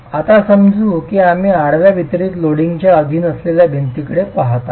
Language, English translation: Marathi, Now assuming we are looking at the wall subjected to horizontal distributable loading